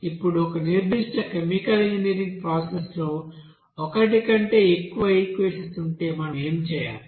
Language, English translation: Telugu, Now if there are more than one equation involving in a particular chemical engineering process, what we have to do